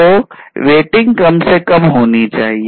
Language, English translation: Hindi, So, this waiting has to be minimized